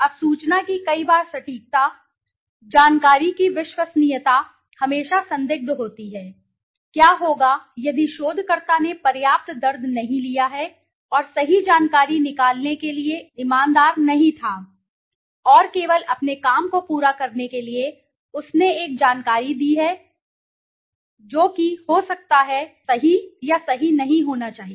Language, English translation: Hindi, Now many a times accuracy of the information, reliability of the information is always questionable, what if the researcher has not taken enough pain and was not honest to extract the right information, and in just to finish his work he has given a information which might not be accurate or correct